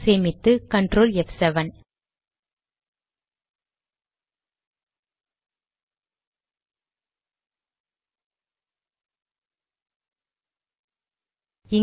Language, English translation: Tamil, Save it, ctrl f7